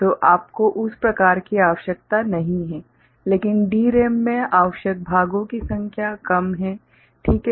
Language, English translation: Hindi, So, you do not require that kind of thing, but in DRAM the number of parts required is less ok